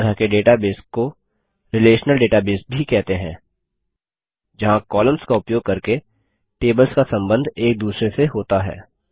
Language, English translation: Hindi, Such a database is also called a relational database where the tables have relationships with each other using the columns